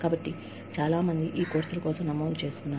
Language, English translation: Telugu, So, many people, have registered, for these courses